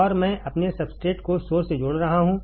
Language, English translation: Hindi, And I am connecting my substrate to the source